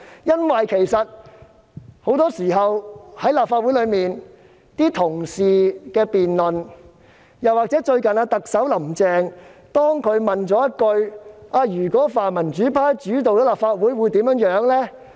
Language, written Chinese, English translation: Cantonese, 因為很多時候，在立法會的辯論中，同事亦會談及此事，而最近特首"林鄭"亦問了一句："如果由泛民主派主導立法會，會怎樣呢？, Why does Mr Alvin YEUNG still have such confidence? . Because Honourable colleagues often speak on this matter during the debates in the Legislative Council . Recently Chief Executive Carrie LAM has also asked What will happen if the pan - democratic camp dominates the Legislative Council?